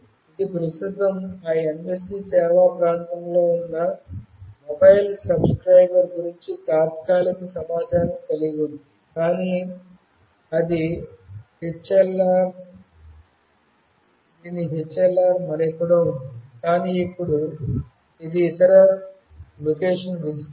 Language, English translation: Telugu, It contains temporary information about the mobile subscriber that are currently located in that MSC service area, but whose HLR are elsewhere, but it is now a visitor for the other location